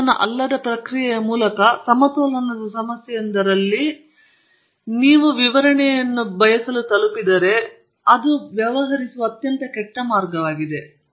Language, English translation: Kannada, If you arrive at an explanation of a thermodynamic problem at equilibrium problem through a non equilibrium process, it is a very bad way of dealing with it